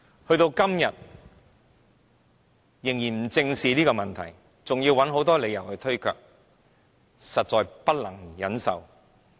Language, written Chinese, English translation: Cantonese, 時至今日，政府仍不願意正視這些問題，甚至找各種理由推卻，實在不能忍受。, To date the Government still refuses to face these problems squarely and even shirks its responsibility with all sorts of reasons . It is really unbearable